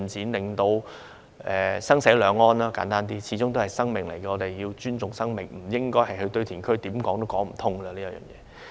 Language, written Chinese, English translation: Cantonese, 簡單而言，要讓生死兩安，因為嬰兒始終是生命，我們要尊重生命，不應該將遺骸運到堆填區。, Simply put we should give peace to both life and death because an aborted baby is a life after all . We must respect life and should not transport the remains of a life to the landfill